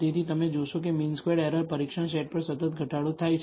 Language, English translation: Gujarati, So, you will find that the mean squared error, On the test set continuously decreases